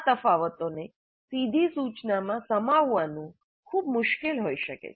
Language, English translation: Gujarati, It may be very difficult to accommodate these differences in direct instruction